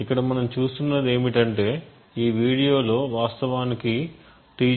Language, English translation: Telugu, c in this specific video we will be looking at T0